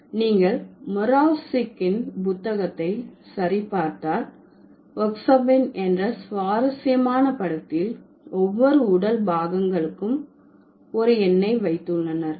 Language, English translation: Tamil, So, if you check Morapsic's book, there is an interesting picture where Oksapmin, the speakers, for each of the body parts they have a number